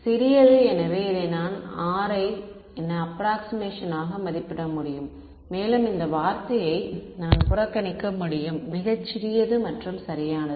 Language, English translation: Tamil, Small right so, I can approximate this as R and I can ignore this term which is going to be very small and alright ok